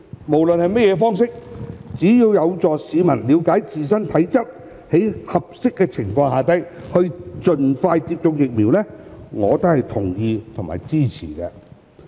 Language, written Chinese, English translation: Cantonese, 無論是甚麼方式，只要有助市民在了解自身體質並在合適的情況下盡快接種疫苗，我都是同意和支持的。, I therefore agree with and support all efforts in whichever form conducive to the early inoculation of the people under suitable circumstances after they have gained an understanding of their own health conditions